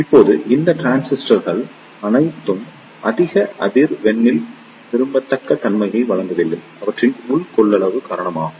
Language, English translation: Tamil, Now, all these transistors do not provide a desirable characteristic at higher frequency is due to their internal capacitance